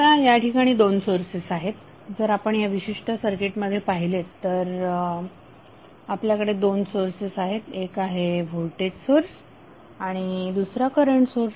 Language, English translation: Marathi, Now if there are 2 sources voltage sources if you see in this particular circuit you have 2 sources one is voltage source other is current source